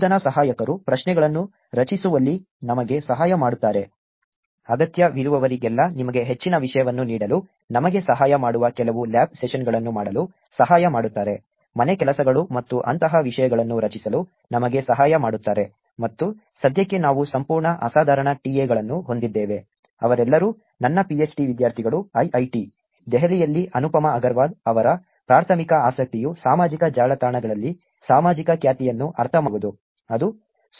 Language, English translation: Kannada, Teaching assistants will help us in creating the questions, doing some lab sessions helping us in giving you more content wherever necessary, helping us even creating the home works and things like that and for now we have full fabulous TA’s, who are all my PhD students at IIIT, Delhi that is Anupama Agarwal, whose primary interest is actually understanding social reputation on social networks